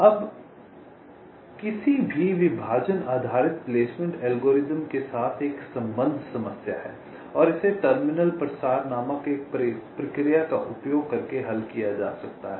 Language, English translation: Hindi, fine, now there is an associated problem with any partitioning based placement algorithm, and this can be solved by using a process called terminal propagation